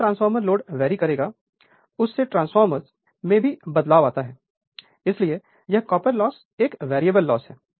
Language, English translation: Hindi, So, actually transformer if load varies transformer current I varies, therefore, this copper loss is a variable loss right